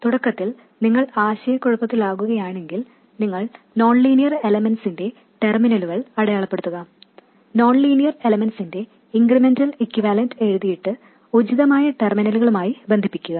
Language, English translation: Malayalam, Initially if you are getting confused, you just mark the terminals of the nonlinear elements, write down the incremental equivalent of the nonlinear element and then connected to the appropriate terminals